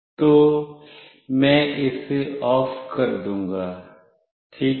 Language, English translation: Hindi, So, I will make it OFF ok